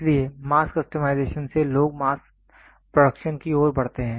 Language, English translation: Hindi, So, from mass customization people move towards mass production